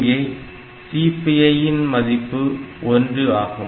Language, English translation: Tamil, So, it reduces the CPI